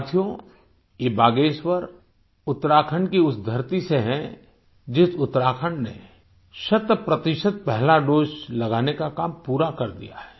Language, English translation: Hindi, Friends, she is from Bageshwar, part of the very land of Uttarakhand which accomplished the task of administering cent percent of the first dose